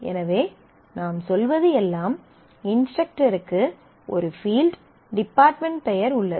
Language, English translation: Tamil, So, all that you are saying is the instructor has a dept name field which says which department does it belong to